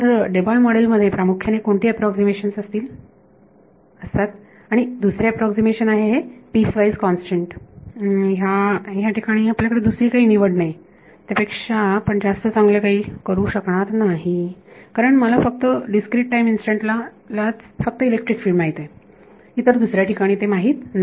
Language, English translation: Marathi, So, what are the approximations basically Debye model and second approximation is this piecewise constant, but that is there is no choice we cannot do anything better than that because I know electric field only at discrete time instance I do not know it everywhere